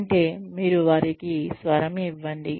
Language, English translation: Telugu, Which means, you give them a voice